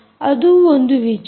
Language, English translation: Kannada, that is the point